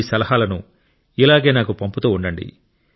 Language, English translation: Telugu, Do continue to keep sending me your suggestions